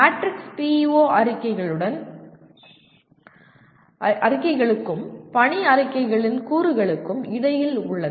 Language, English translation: Tamil, The matrix is between PEO statements and the elements of mission statements